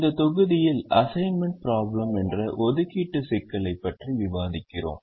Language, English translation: Tamil, in this module we discuss the assignment problem